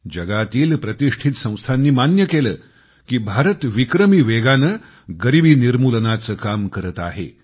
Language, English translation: Marathi, Noted world institutions have accepted that the country has taken strides in the area of poverty alleviation at a record pace